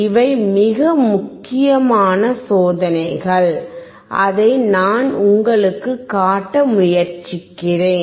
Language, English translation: Tamil, These are very important experiments that I am trying to show it to you